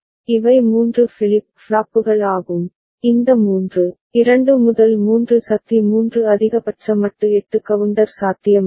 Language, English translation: Tamil, These are three flip flops up to, with these three, 2 to the power 3 maximum modulo 8 counter is possible